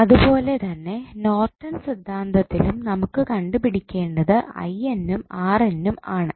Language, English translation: Malayalam, Similarly in Norton's Theorem also what we need to find out is I N and R N